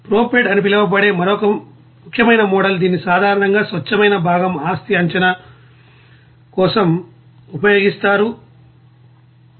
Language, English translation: Telugu, Another important model based it is called ProPred, this is generally being used for pure component property prediction